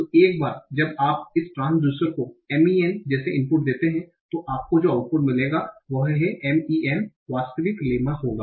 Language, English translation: Hindi, So once you give an input like M E N to this transducer, the output you will get is M A N, the actual lemma